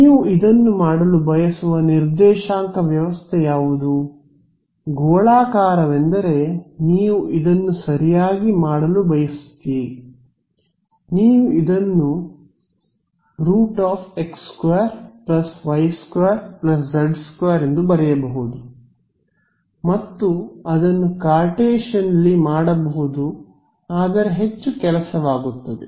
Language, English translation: Kannada, So, curl of a now, what is a coordinate system in which you would want to do this, spherical is what you would want to do this in right you could as also write this as r as square root x square plus y square plus z square and do it in Cartesian that would be a lot more work